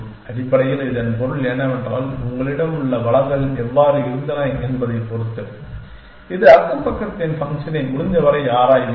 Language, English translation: Tamil, Essentially, this means that depending on how were the resources you have you will explore it as many of this neighborhood function as possible essentially